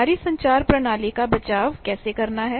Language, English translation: Hindi, How to shield our communication systems